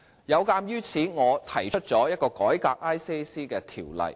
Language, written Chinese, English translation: Cantonese, 有鑒於此，我提出了一項改革廉政公署的法案。, In view of this I have introduced a bill to reform ICAC